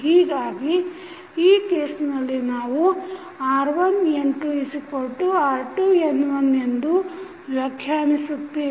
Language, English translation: Kannada, So, using this you can correlate that r1N2 is equal to r2N1